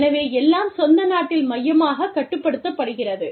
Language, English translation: Tamil, So, everything is controlled, centrally in the home country